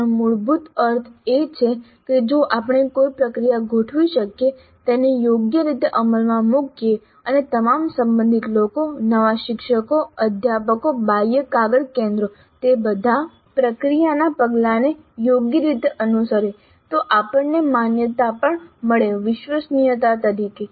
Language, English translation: Gujarati, That essentially means that if we can set up a process, have it implemented properly and how all the relevant people, the new teachers, the faculty, the external paper setters, all of them follow the process steps properly, then we get validity as well as reliability